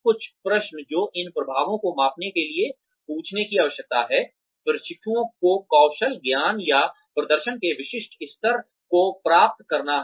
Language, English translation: Hindi, Some questions, that one needs to ask, to measure these effects are, have the trainees achieve the specific level of skill, knowledge, or performance